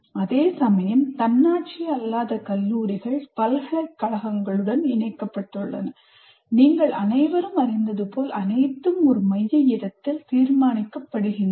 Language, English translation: Tamil, Whereas non autonomous colleges are affiliated to universities and as you all know, everything is decided by the in a central place